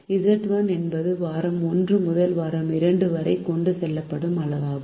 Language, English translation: Tamil, z one is the quantity carried from week one to week two